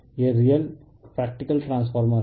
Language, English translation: Hindi, That is yourreal that is your practical transformer